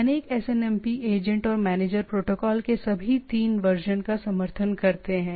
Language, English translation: Hindi, So many SNMP agents and managers supports all 3 versions of the protocol